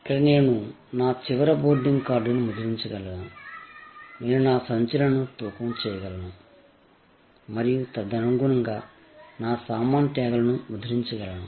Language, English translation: Telugu, Here, I could print out my final boarding card, I could weigh my bags and accordingly, I could print out my baggage tags